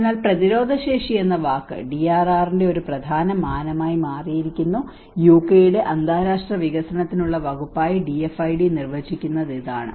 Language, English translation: Malayalam, So the word resilience has become an important dimension of the DRR and this is what the DFID defines as the department for international development of UK